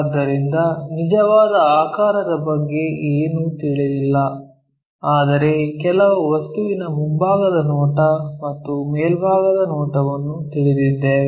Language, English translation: Kannada, So, we do not know anything about true shape here, but just we know front view and top view of some object